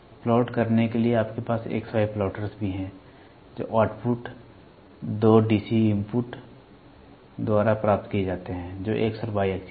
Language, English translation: Hindi, You also have XY plotters to same way to plot, the output which are obtained by two DC inputs that is X and Y axis